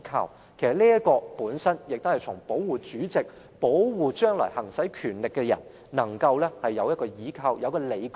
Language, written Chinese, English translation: Cantonese, 其實，這項條文本身是為保護主席、保護將來行使權力的人，讓他們有一個倚靠及理據。, In fact this provision seeks to protect the President and people who will exercise such power in future by providing some grounds and justifications for their decisions